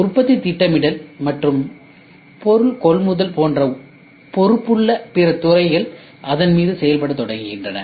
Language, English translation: Tamil, Other department such as those responsible for production planning and procurement of material then starts acting on it